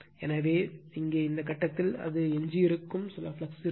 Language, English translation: Tamil, So, here at this point, it will come some residual flux will be there